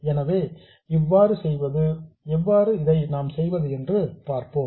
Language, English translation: Tamil, So, let's see how to do this